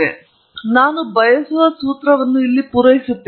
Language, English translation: Kannada, So, I say here I supply the formula that I want